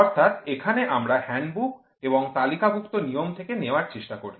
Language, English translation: Bengali, So, here we try to take from handbook and thumb rule